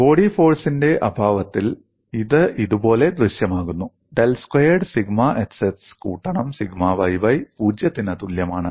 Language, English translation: Malayalam, In the absence of body force it appears like this del squared sigma xx plus sigma yy equal to 0